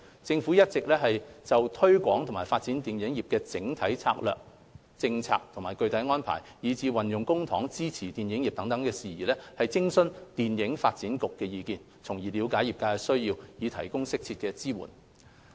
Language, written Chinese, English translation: Cantonese, 政府一直有就推廣和發展電影業的整體策略、政策和具體安排，以至運用公帑支援電影業等事宜，徵詢電影發展局意見，了解業界需要，以提供適切的支援。, The Government has been consulting the Hong Kong Film Development Council FDC on the overall strategies policies and practical arrangements for promotion and development of the film industry as well as the use of public funds to support the industry to understand the needs of the industry and offer support as appropriate